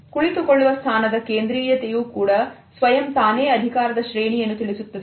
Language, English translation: Kannada, The centrality of seating position automatically conveys a power play